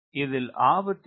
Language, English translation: Tamil, what is the danger